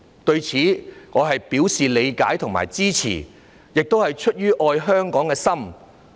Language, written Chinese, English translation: Cantonese, 對此，我表示理解和支持，這亦是出於愛香港的心。, I express my understanding of and support for this . I also do so out of love for Hong Kong